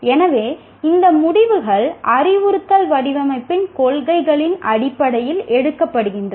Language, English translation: Tamil, So these are the decisions are made based on the principles of instruction design